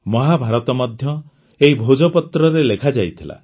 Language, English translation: Odia, Mahabharata was also written on the Bhojpatra